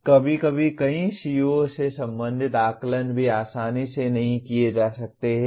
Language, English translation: Hindi, And also sometimes assessments related to several CO cannot be easily designed